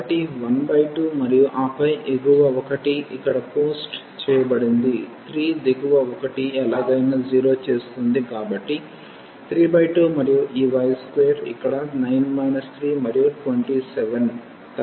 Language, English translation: Telugu, So, 1 by 2 and then that is post the upper one here 3 lower one will make anyway 0